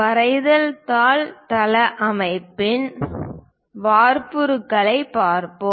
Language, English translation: Tamil, Let us look at a template of a drawing sheet layout